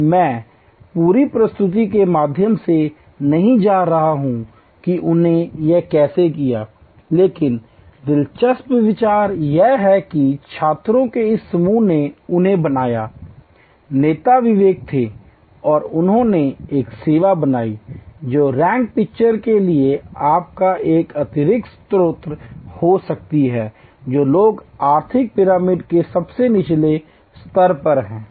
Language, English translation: Hindi, And I am not going through the whole presentation how they did it, but the interesting idea is that this group of students they created, the leader was Vivek and they created a service which can be an additional source of income for rag pickers, people who are at the lowest strata of the economic pyramid